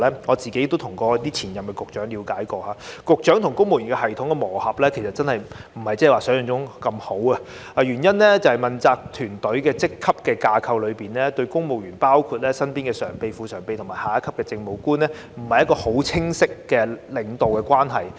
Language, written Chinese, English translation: Cantonese, 我個人也曾向前任局長了解，局長與公務員系統的磨合其實並非如想象中般好，原因是問責團隊在職級架構上，對公務員包括身邊的常任秘書長、副秘書長及下一級的政務官，沒有釐定一個很清楚的領導關係。, I have asked some former Secretaries and learnt that Directors of Bureaux do not integrate into the civil service system as well as we have imagined . It is because the accountability teams supervisory relationship with the civil servants working for them including Permanent Secretaries Deputy Secretaries and the subordinate Administrative Officers is not clearly defined